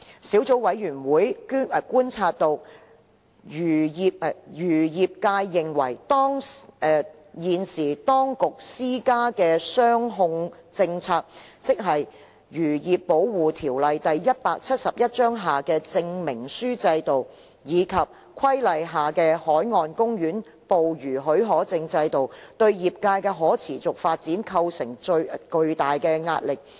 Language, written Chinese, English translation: Cantonese, 小組委員會觀察到，漁業界認為現時當局施加的"雙控政策"，即《漁業保護條例》下的證明書制度，以及《規例》下的海岸公園捕魚許可證制度，對業界的可持續發展構成巨大壓力。, According to the observation of the Subcommittee the fisheries industry holds that the present double control imposed by the authorities which means the certification system under the Fisheries Protection Ordinance Cap . 171 and the marine park fishing permit system under the Regulation has been putting immense pressure on the sustainability of the industry